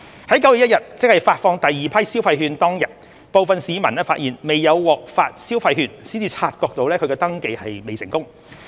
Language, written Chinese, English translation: Cantonese, 在9月1日，即發放第二批消費券當天，部分市民發現未有獲發消費券才察覺其登記未成功。, Some registrants only realized that their registrations were not successful when they failed to receive any vouchers on 1 September ie . the date of disbursement of the second batch of vouchers